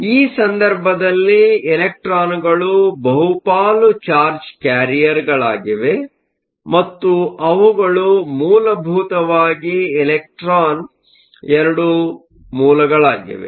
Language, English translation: Kannada, So, in this case, electrons are the majority charge carriers and they are essentially two sources of electrons